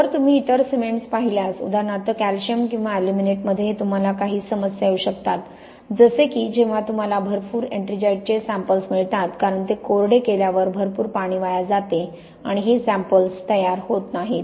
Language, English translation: Marathi, If you look at other cements so for example calcium, so for aluminates you can get some problems, so for example when you have got samples with lots of ettringite because it loses a lot of water on drying forms these big cracks and that is an artefact the samples not really as cracked as that